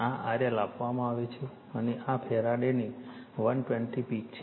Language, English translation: Gujarati, This is R L is given, and this is 320 peak of farad